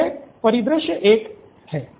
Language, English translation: Hindi, So that’s scenario 1